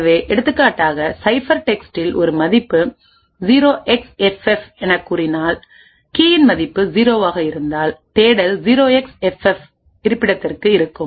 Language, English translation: Tamil, So, for example if let us say the ciphertext has a value say 0xFF if the key value was 0, lookup is to the location 0xFF